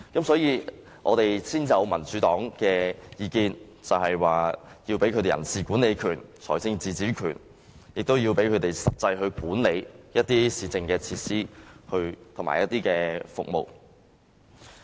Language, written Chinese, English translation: Cantonese, 所以，民主黨才提出意見，要給予區議員人事管理權、財政自主權，以及讓他們實際地管理市政設施和服務。, For this reason the Democratic Party presents its suggestions of giving DC members the powers of staff management and financial autonomy as well as actual management of municipal facilities and services